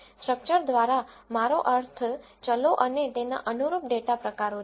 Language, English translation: Gujarati, By structure I mean the variables and their corresponding data types